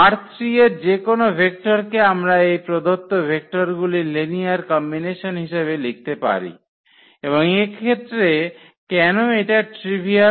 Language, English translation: Bengali, So, any vector from R 3 we can write down as a linear combination of these given vectors and why this is trivial in this case